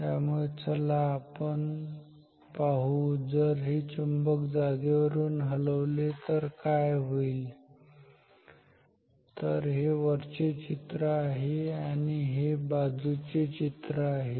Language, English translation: Marathi, And so let us see what happens if this magnet is moving ok, so from the top this is the top view this is the side view